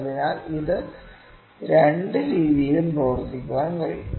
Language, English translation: Malayalam, So, it can work in either way